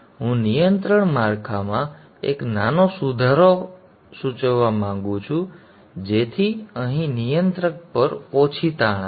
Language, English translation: Gujarati, I would like to suggest a small improvement in the control structure so that there is less strain on the controller here